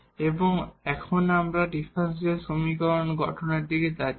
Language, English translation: Bengali, And now we will we are going to the direction of the formation of these differential equation